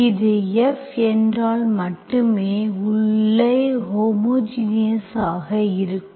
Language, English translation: Tamil, Only thing is if F of this, so inside is homogeneous